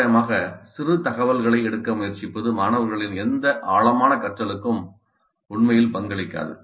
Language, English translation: Tamil, Randomly trying to pick up pieces of information would not really contribute to any deep learning by the students